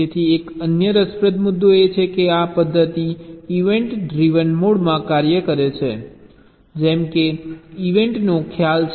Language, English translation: Gujarati, so there is another interesting point is that this method works in even driven mode, like there is a concept of a event